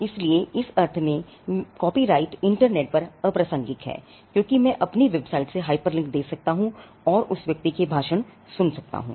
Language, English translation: Hindi, So, so in that sense it is irrelevant copyright is irrelevant on the internet, because I could give a hyperlink from my website and take to that person speech